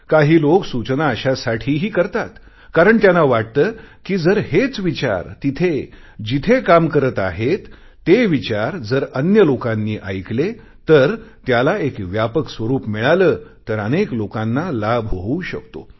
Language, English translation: Marathi, Some people also give suggestions thinking that if an idea has the potential to work then more people would listen to it if it is heard on a wider platform and hence many people can benefit